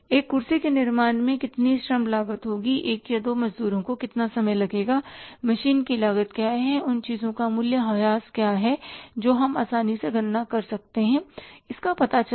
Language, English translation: Hindi, How much labour cost would be there say for manufacturing a chair, how much time one or two laborers take and what is the machine cost and what is a depreciation or the things that can easily be calculated found out